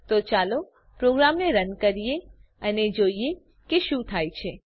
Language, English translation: Gujarati, So let us run the program and see what happens